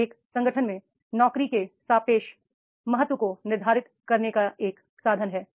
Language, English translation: Hindi, It is a means of determining the relative importance of job in an organization